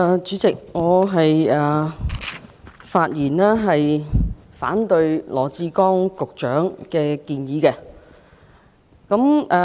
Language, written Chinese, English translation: Cantonese, 主席，我發言反對羅致光局長的議案。, President I rise to speak against Secretary Dr LAW Chi - kwongs motion